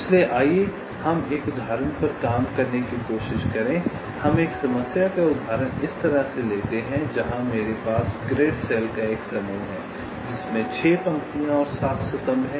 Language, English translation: Hindi, lets take a problem instance like this, where i have a set of grid cells six number of rows and seven number or columns